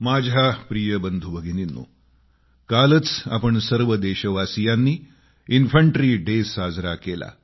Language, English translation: Marathi, My dear brothers & sisters, we celebrated 'Infantry Day' yesterday